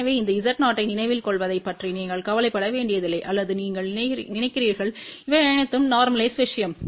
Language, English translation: Tamil, So, you do not have to worry about remembering these Z 0 or you just think about these are all normalized thing